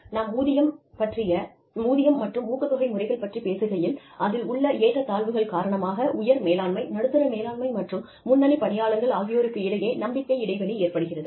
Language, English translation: Tamil, You know, when we talk about, pay and incentive systems, trust gap occurs, as a result of disparity in the incentives, between top management, middle management, and frontline workers